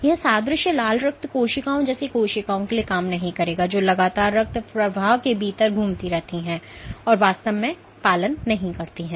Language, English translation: Hindi, This analogy would not work for cells like red blood cells which continuously circulate within the bloodstream and are not really adherent